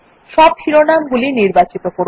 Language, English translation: Bengali, Select all the headings